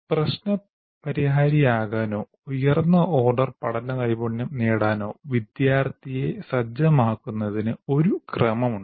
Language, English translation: Malayalam, There is a sequence in which you have to prepare the student to be able to become problem solvers or acquire higher order learning skills